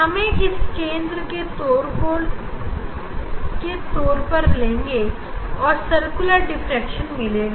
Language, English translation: Hindi, we will get also taking this one as a center, so we will get circular diffraction pattern